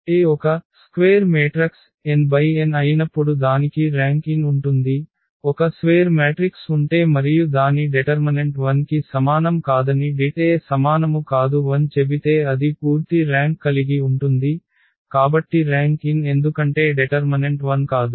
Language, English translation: Telugu, In a particular case when A is a square n cross n matrix it has the rank n, if the determinant A is not equal to 0 say if we have a square matrix and its determinant is not equal to 0 then it has a full rank, so the rank is n because determinant itself is not 0